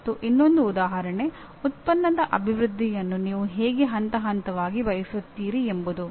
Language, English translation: Kannada, And the other one is how do you want to phase the development of a product